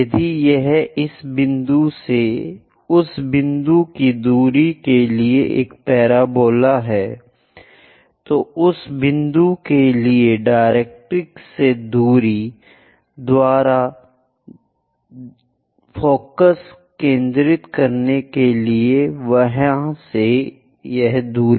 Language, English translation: Hindi, If it is a parabola from this point to that point distance of that point from there to focus by distance from directrix for that point